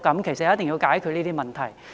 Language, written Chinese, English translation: Cantonese, 其實，一定要解決這些問題。, In fact these problems must be solved